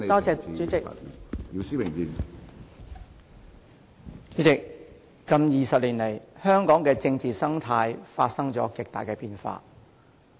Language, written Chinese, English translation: Cantonese, 主席，近20年來，香港的政治生態發生了極大的變化。, President the political ecology of Hong Kong has undergone drastic changes over the past 20 years